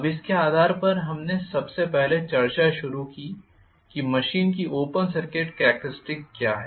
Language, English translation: Hindi, Now, based on this we started discussing first of all what is the Open Circuit Characteristics of the machine